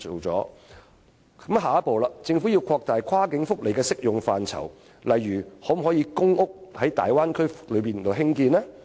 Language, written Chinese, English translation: Cantonese, 政府的下一步是擴大跨境福利的適用範疇，例如可否在大灣區內興建公屋呢？, The next step that the Government will take is to expand the application scope of cross - boundary welfare benefits . For instance is it possible to construct public housing in the Bay Area?